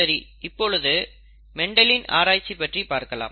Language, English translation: Tamil, Now let us see the way the Mendel, the way Mendel saw it